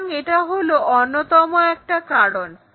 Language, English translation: Bengali, So, this is one of thereasons